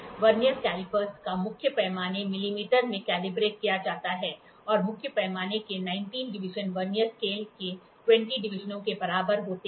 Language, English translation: Hindi, The main scale of a Vernier caliper is calibrated in millimeter and 19 divisions of the main scale are equal to 20 divisions of the Vernier scale